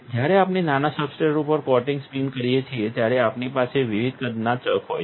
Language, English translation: Gujarati, When we spin coating on a smaller substrate, we have chucks of different size